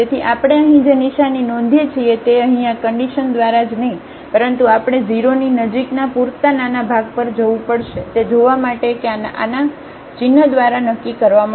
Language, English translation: Gujarati, So, what we will notice here the sign will be determined by this h only not by these terms here, but we have to go to a sufficiently small h close to 0 to see that this will be determined by the sign of this one